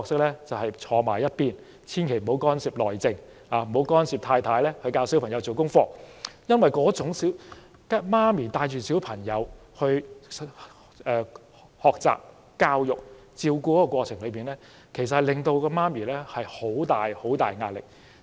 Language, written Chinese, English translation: Cantonese, 便是靜坐一旁，千萬不要干涉"內政"，不要干涉太太如何教導小朋友做功課，因為母親在帶領小朋友學習、施教和照顧的過程中，母親其實受到很大壓力。, We had best remain silent sit aside and not involve in this familys internal affair or interfere with how our wives teach our children to do homework . Indeed a mother is often under great pressure when she teaches her children homework how to learn or takes care of them